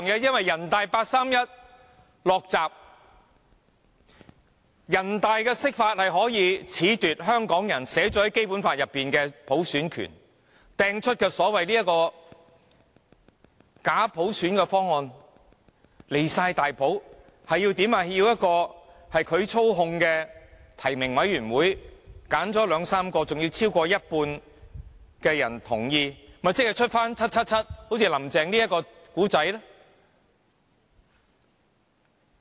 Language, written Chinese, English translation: Cantonese, 因為人大八三一"落閘"，人大的釋法可以褫奪《基本法》規定香港人享有的普選權，拋出假普選的方案，過分至極，要一個由他們操控的提名委員會挑選兩三名候選人，還要有超過一半人同意，豈不是會產生 "777"" 林鄭"這一個故事。, The NPCSC interpretation can deprive Hong Kong people of their right to universal suffrage as provided for in the Basic Law . The proposal on bogus universal suffrage that it put forth was outrageous in the sense that it would be up to a nominating committee controlled by them to pick two to three candidates and each candidate must have the endorsement of more than half of the members of the nominating committee . Such conditions would definitely lead to the case of 777 Carrie LAM